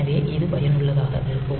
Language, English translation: Tamil, So, this is useful